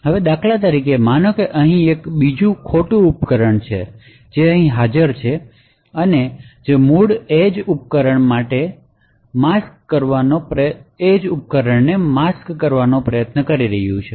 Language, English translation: Gujarati, Now for instance let us say that there is another rogue device that is present here and which is trying to masquerade as the original edge device